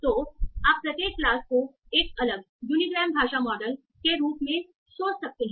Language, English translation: Hindi, So you can think of each class as a separate unigram language model